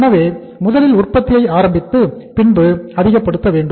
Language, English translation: Tamil, So it means initially we started manufacturing the production then it started rising